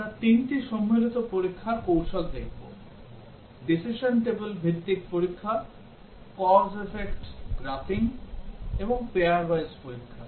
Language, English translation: Bengali, We will look at three combinatorial testing techniques the decision table based testing, cause effect graphing and pair wise testing